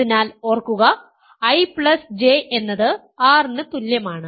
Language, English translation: Malayalam, stands for such that, I J is equal to R